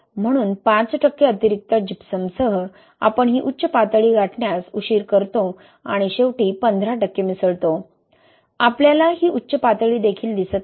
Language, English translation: Marathi, So, with five percent additional Gypsum, you delay this peak and eventually add fifteen percent, we do not even see that peak, okay